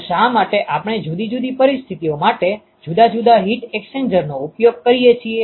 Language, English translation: Gujarati, So, why do we use different heat exchangers for different for different situations ok